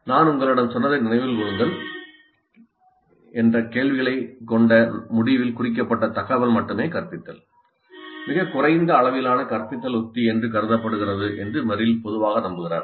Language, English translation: Tamil, And Merrill generally believes that information only instruction with remember what I told you questions at the end, tagged at the end is considered as a very low level instructional strategy